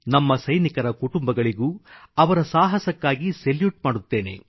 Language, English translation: Kannada, I also salute the families of our soldiers